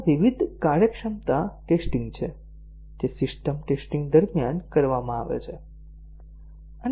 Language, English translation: Gujarati, So, these are the different functionality tests that are done during system testing